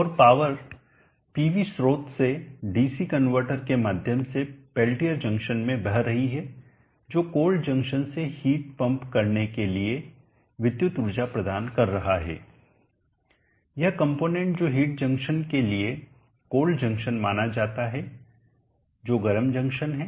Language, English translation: Hindi, And the power is flowing from the PV source through the DC convertor into the Pelletier junction which is providing the electric energy to pump heat from the cold junction this component which is supposed to be the cold junction to the heat sink which is the hot junction